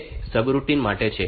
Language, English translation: Gujarati, So, that is for subroutine